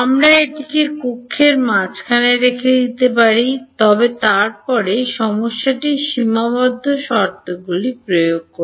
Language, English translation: Bengali, We could put it at the middle of the cell, but then the problem is boundary conditions enforcing